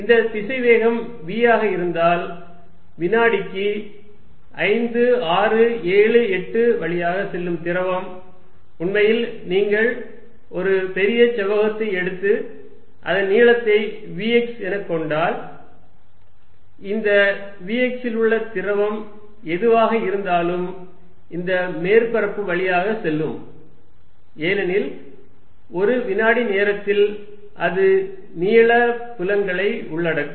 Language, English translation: Tamil, If there is a velocity v, then fluid passing through 5, 6, 7, 8 per second will be really, if you make a big rectangle of length v x whatever the fluid is in this v x is going to pass through this surface, because in one second it will cover the length fields